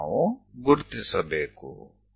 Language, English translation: Kannada, We have to connect